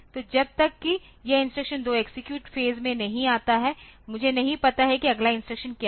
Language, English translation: Hindi, So, until and unless this instruction 2 comes to the execute phase I do not know what is the a next instruction